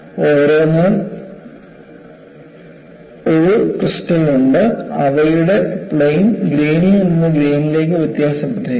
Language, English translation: Malayalam, See, each one has a crystal and their planes are oriented differently from grain to grain